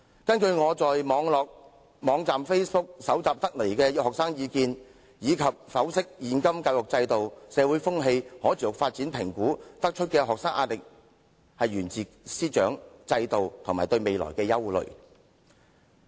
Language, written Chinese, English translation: Cantonese, "根據我在 Facebook 網站搜集的學生意見，以及分析現今教育制度、社會風氣和可持續發展評估得出的結論，學生壓力來自師長和制度，以及對未來的憂慮。, According to the students views collected by me on the Facebook website and the conclusion drawn by analysing the present education system social atmosphere and sustainable development evaluations the pressure faced by students comes mainly from teachers parents the system and worries about the future